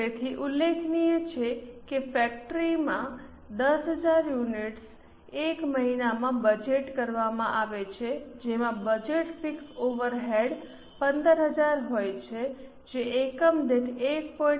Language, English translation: Gujarati, So, it is mentioned that in the factory 10,000 units are budgeted in a month with budgeted fixed overheads being 15,000 which comes to 1